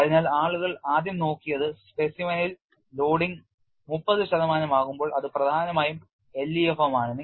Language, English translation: Malayalam, So, what people initially looked at was when the loading on the specimen is about 30 percent, it is essentially dominated by LEFM